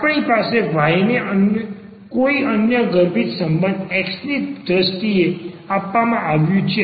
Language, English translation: Gujarati, So, we have y is given in terms of x no other implicit relation